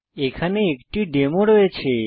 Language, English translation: Bengali, Here is a demo